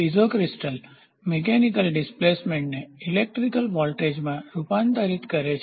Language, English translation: Gujarati, Piezo crystal converts the mechanical displacement into an electrical voltage